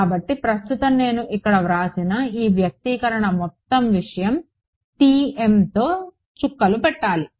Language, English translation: Telugu, So, right now what I have written over here this expression just whole thing needs to be dotted with T m